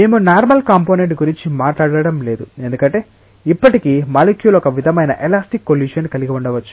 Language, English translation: Telugu, We are not talking about the normal component because, still the molecule may be colliding like it may have a sort of elastic collision